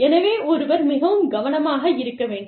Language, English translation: Tamil, So, one has to be very careful